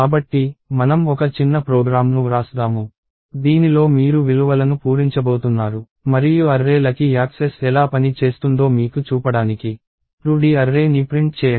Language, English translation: Telugu, So, let us write a small program in which you are going to fill up values and print a 2D array just to show you how access to an array works